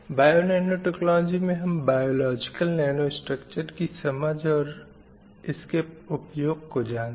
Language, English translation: Hindi, And bio nanotechnology is understanding the biological nanostructures and its potential applications